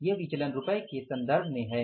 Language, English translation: Hindi, This is in terms of the rupees